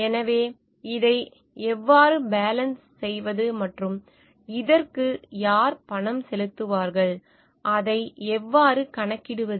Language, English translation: Tamil, So, how to take care of this how to balance this and who is going to pay for it and how to account for it